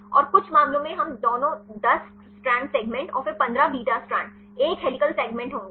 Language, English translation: Hindi, And some cases we will have both 10 strands segments and then 15 beta strand, a helical segment